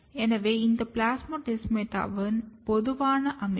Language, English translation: Tamil, So, this is a typical structure of plasmodesmata